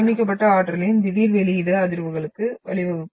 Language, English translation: Tamil, That sudden release of stored energy which will result into the vibrations